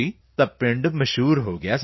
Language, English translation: Punjabi, So the village became famous sir